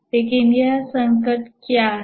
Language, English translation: Hindi, But what is this crisis